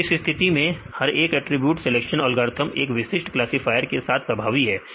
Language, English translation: Hindi, So, for in this case each attribute selection algorithm is effective with specific classifier